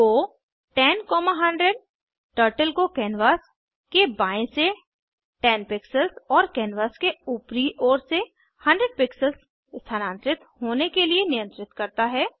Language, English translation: Hindi, go 10,100 commands Turtle to go 10 pixels from left of canvas and 100 pixels from top of canvas